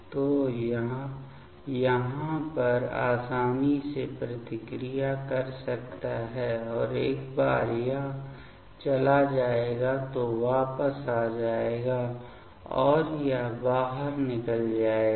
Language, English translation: Hindi, So, this can easily react over here and once this will go so will come back and this will go out